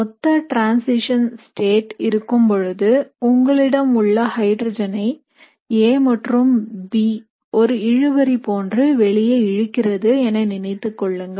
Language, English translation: Tamil, So when you have a symmetric transition state, so what you imagine is you have your hydrogen and you have A and B pulling it away like a tug of war